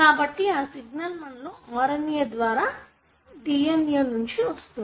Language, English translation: Telugu, So, that signal comes from your DNA via the RNA